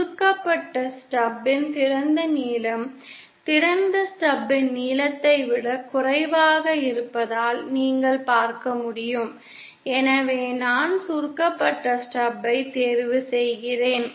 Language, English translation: Tamil, As you can sees the since the open length of the shorted stub is lesser than the length of the open stub hence I choose the shorted stub